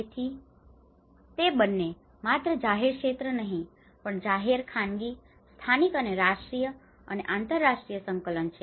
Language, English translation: Gujarati, So it is both not only the public sector but also the public private, local and national and international coordination